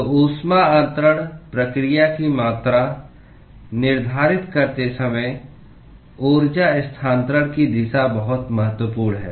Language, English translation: Hindi, So, direction of energy transfer is very important while quantifying the heat transfer process